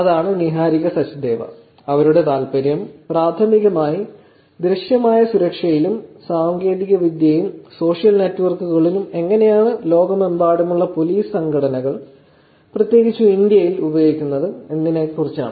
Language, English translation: Malayalam, That is Niharika Sachdeva, whose interest is primarily on visible security and studying how technology and social networks have been used by police organizations around the world and particularly in India